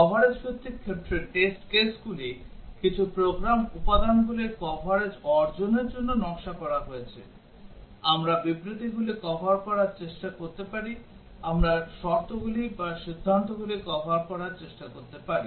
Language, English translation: Bengali, In coverage based ones, the test cases are designed to achieve coverage of some program elements; we may try to cover statements, we may try to cover conditions, or decisions